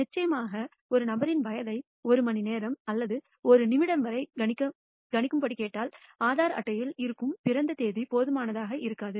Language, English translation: Tamil, Of course, if you are asked to predict the age of the person to a hour or a minute the date of birth from an Aadhaar card is insufficient